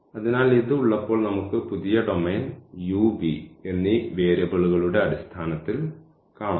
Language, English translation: Malayalam, So, having this we have to see the new domain now in terms of variables u and v